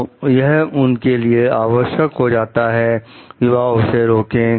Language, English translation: Hindi, So, it is important for them to prevent them